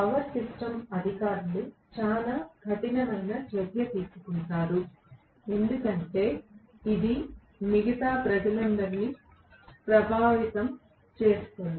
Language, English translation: Telugu, Power system authorities will take a pretty stern action because it affects all the other people